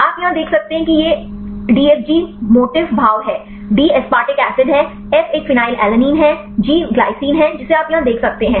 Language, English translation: Hindi, You can see here this is a DFG motif; D is aspartic acid, F is a phenylalanine, G is the glycine you can see here